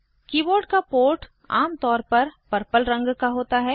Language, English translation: Hindi, The port for the keyboard is usually purple in colour